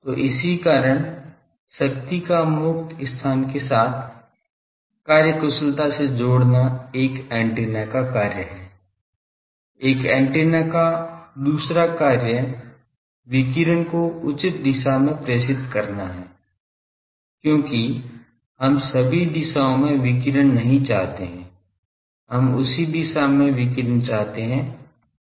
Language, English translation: Hindi, So, that is why one task of antenna is to efficiently couple the power to the free space, another job of antenna is to direct the radiation in the proper direction, because we do not want to radiate everywhere we want to radiate where we want it to be received by someone else